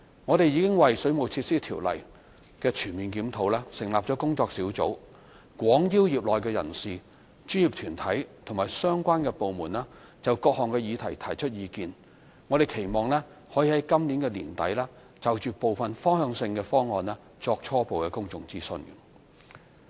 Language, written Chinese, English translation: Cantonese, 我們已為《水務設施條例》的全面檢討成立工作小組，廣邀業內人士、專業團體及相關部門就各項議題提出意見，期望可在今年年底就部分方向性的方案作初步公眾諮詢。, We have set up a task force for this holistic review and extensively invited members of the trade professional bodies and relevant departments to give views on different issues . It is hoped that a preliminary public consultation can be conducted by the end of this year to seek views on some directional proposals